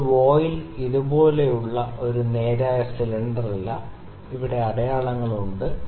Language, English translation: Malayalam, Now, the voile is not a straight cylinder like this, there markings here